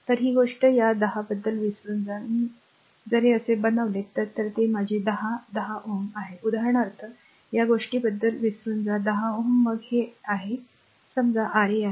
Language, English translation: Marathi, So, forget about this thing this 10, I am if I make it like this is my 10 10 ohm forget about this thing for example, 10 ohm then this is your star this is star this is star suppose this is your R 1